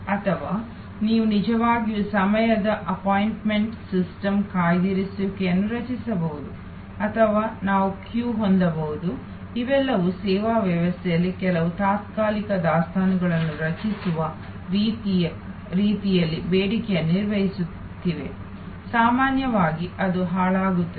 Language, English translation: Kannada, Or we can actually create a appointment system reservation of time or we can have a queue these are all managing the demand in a way creating some temporary inventory in the service system, was normally it is perishable